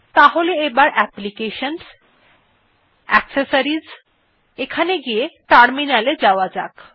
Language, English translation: Bengali, So lets move back to Applications gtAccessories and then terminal